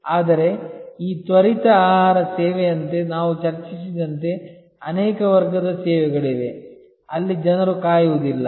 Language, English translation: Kannada, But, there are many categories of services as we discussed like this fast food service, where people will not wait